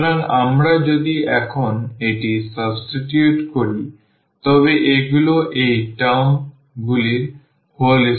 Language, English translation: Bengali, So, if we if we substitute this now so, these are the whole square of these terms